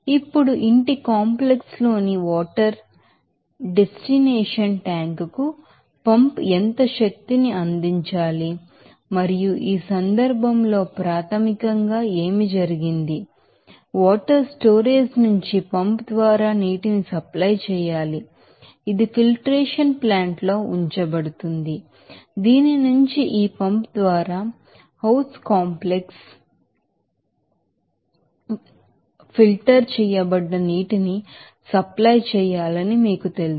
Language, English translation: Telugu, Now, how much energy must a pump deliver to the water destination tank there in the house complex and this case basically what happened that Water to be supplied by a pump from the water storage tank which is kept in filtration plant from whose that you know filtered water to be supplied to house complex by this pump